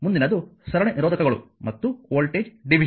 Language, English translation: Kannada, Next is that your series resistors and voltage division